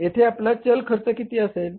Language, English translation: Marathi, And this is your transaction cost